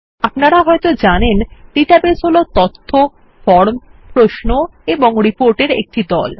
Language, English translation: Bengali, As you may know, a database is a group of data, forms, queries and reports